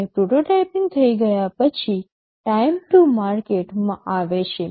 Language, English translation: Gujarati, And after the prototyping is done, comes time to market